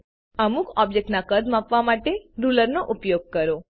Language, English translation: Gujarati, Use the ruler to measure the size of some the objects